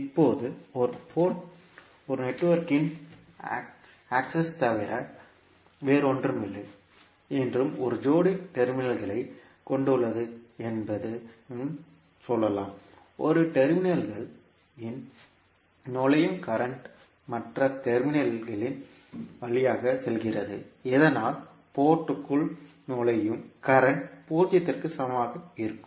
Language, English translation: Tamil, Now, you can also say that the port is nothing but an access to a network and consists of a pair of terminal, the current entering one terminal leaves through the other terminal so that the current entering the port will be equal to zero